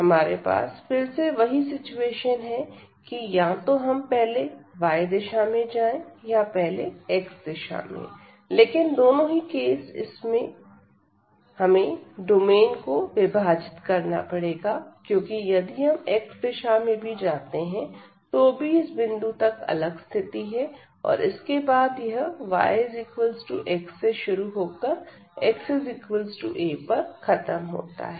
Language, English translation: Hindi, So, again we have the situation that we can either go in the direction of y first or we go in the direction of x first, but in either case we have to break the domain because even if we go first in the direction of x